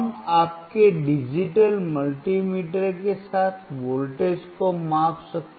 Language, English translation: Hindi, We can measure voltage with your digital multimeter